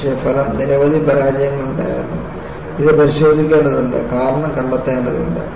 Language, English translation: Malayalam, But the result was, you find, there were many failures, that needs to be looked at and the cause needs to be ascertained